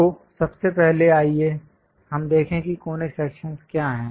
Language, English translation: Hindi, So, first of all, let us look at what is a conic section